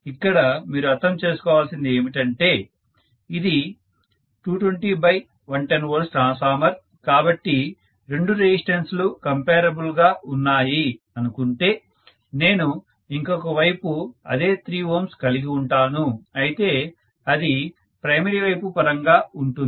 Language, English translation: Telugu, Because please understand this is 220 by 110 V transformer, so if I am saying that both the resistance are comparable, I should have the same 3 ohms on the other side, but refer to the primary side